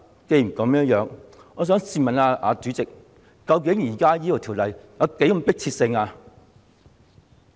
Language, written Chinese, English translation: Cantonese, 既然如此，我想問主席，究竟這項《條例草案》有何迫切性？, In that case I wish to ask the President what is so urgent about this Bill